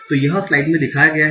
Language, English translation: Hindi, So this is what is shown in this slide